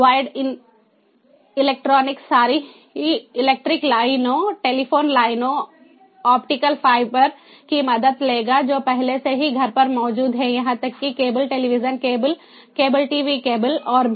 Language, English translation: Hindi, wired would take help of electronic, ah, sorry, electric lines, telephone lines, optical fibers that are already existing at home, even the ah cable television, ah, ah cables, cable tv cables and so on